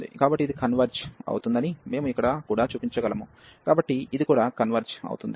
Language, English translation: Telugu, So, we can here also show that this converges, so this also converges